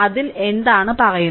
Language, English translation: Malayalam, So, what it states